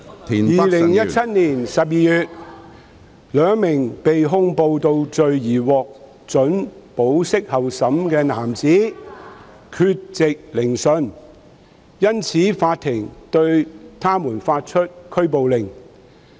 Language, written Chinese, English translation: Cantonese, 2017年12月，兩名被控暴動罪而獲准保釋候審的男子缺席聆訊，因此法庭對他們發出拘捕令。, In December 2017 two men who had been charged with rioting offences and admitted to bail pending trial failed to attend the trial and the Court therefore issued warrants of arrest against them